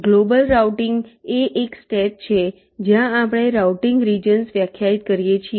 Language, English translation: Gujarati, global routing is a step very define something called routing regions